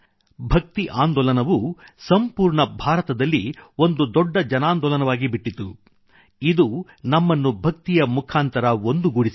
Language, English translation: Kannada, The Bhakti movement became a mass movement throughout India, uniting us through Bhakti, devotion